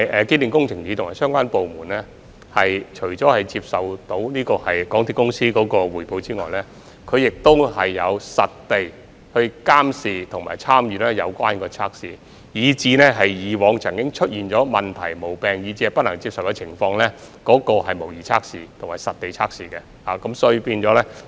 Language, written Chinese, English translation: Cantonese, 機電署及相關部門除接受港鐵公司的匯報外，亦會實地監視及參與有關測試，也會參與重構以往曾出現問題、毛病，以及一些不能接受的情況的模擬測試及實地測試。, Apart from receiving reports from MTRCL EMSD and the relevant departments will also monitor and participate in the relevant tests on site and they will take part in the reconstruction of simulation tests and on - site tests that have caused problems faults and some unacceptable situations in the past